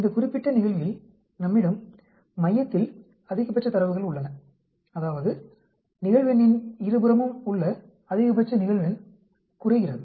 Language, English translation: Tamil, Where as in this particular case we have maximum data in the center that is, maximum frequency on either side of the frequency goes down